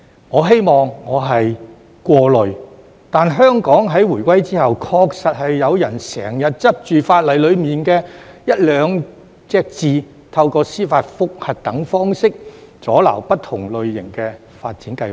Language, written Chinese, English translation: Cantonese, 我希望我是過慮，但香港在回歸後，確實是有人經常執着於法例當中的一兩個字，透過司法覆核等方式，阻撓不同類型的發展計劃。, I wish I were overly anxious but after the return of Hong Kong to China it is true that some people always dwell on one or two words in the law to obstruct various types of development projects by judicial review and other means